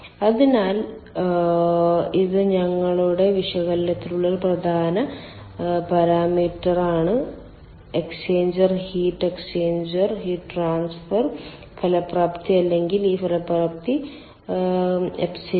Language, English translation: Malayalam, so this is one important ah parameter for our analysis: the exchanger heat, ah, the, the exchanger heat transfer effectiveness, or this effectiveness epsilon